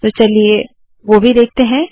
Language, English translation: Hindi, So lets see that also